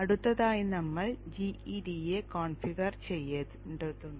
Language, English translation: Malayalam, Next we need to configure GEDA